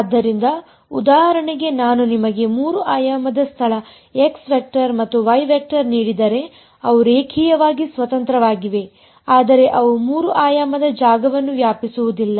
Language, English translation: Kannada, So for example, if I give you three dimensional space x vector and y vector they are linearly independent, but they do not span three dimensional space